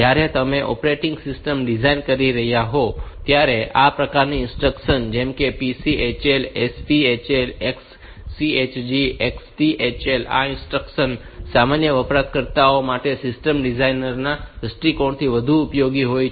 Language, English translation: Gujarati, When you are designing operating system, this type of instruction the xc, so, this PCHL SPHL XCHG and XTHL, these instructions are more useful from the system designers view point for general users